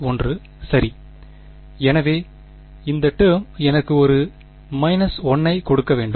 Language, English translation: Tamil, Minus 1 right; so this term should just give me a minus 1